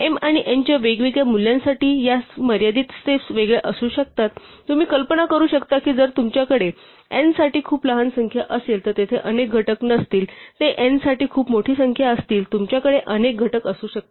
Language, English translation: Marathi, Of this finite number of steps may be different for different values of m and n, you can imagine that if you have a very small number for n there are not many factors they are the very large number for n you might have many factors